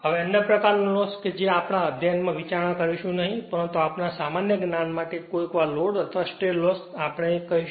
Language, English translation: Gujarati, Now, other type of loss is which we will not consider in our study, but for our your general knowledge right sometime load or stray loss, we call